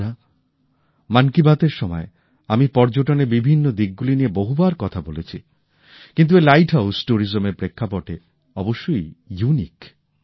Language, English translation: Bengali, Friends, I have talked of different aspects of tourism several times during 'Man kiBaat', but these light houses are unique in terms of tourism